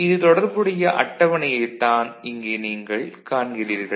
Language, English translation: Tamil, And the table the corresponding table is what you see over here, ok